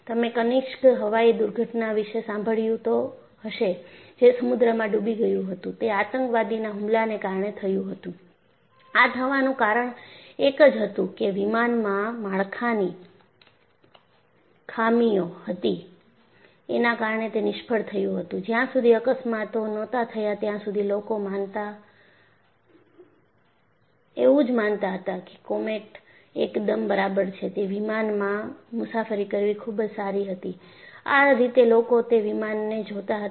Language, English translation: Gujarati, See you might have heard of Kanishka aircraft which plungedinto sea; that was because of a terrorist attack; it is not because there was a structural failure in the aircraft and because of that it failed; that was not so Until the accidents happened, people thought that comet was quite okay,and it was the prestige to travel in that aircraft;that isthe way people looked at it